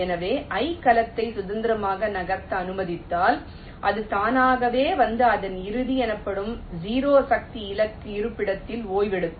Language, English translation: Tamil, so if we allow the cell i to move freely, it will automatically come and rest in its final so called zero force target location